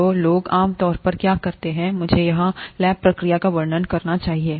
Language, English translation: Hindi, So what people normally do, let me describe the lab procedure here